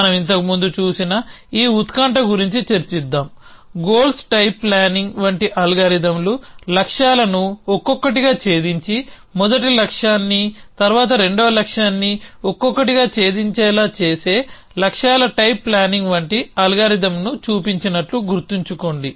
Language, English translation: Telugu, So, let us discuss this suspense that we at seen earlier remember that we a shown that a algorithms like goals type planning, which does linier planning in the sense at it breaks of the goals one by one trails all the first goal and then trails all the second goal